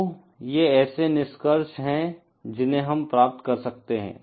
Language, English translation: Hindi, So, these are the conclusions that we can derive